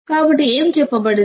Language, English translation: Telugu, So, what is said